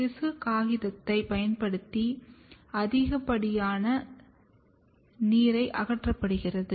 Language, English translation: Tamil, The excess water is removed using the tissue paper